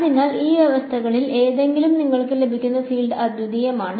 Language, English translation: Malayalam, So, under these conditions any of these conditions the field that you will get is unique